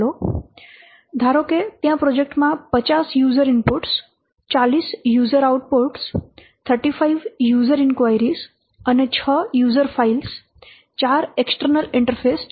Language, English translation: Gujarati, There are suppose in that project there are 50 user inputs, 40 user outputs, 35 user inquiries and 6 user files for external interfaces